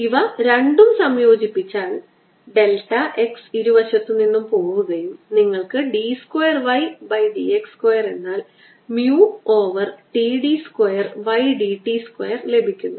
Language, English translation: Malayalam, you combine the two delta x cancels from both sides and you get d two y by d x square is equal to mu over t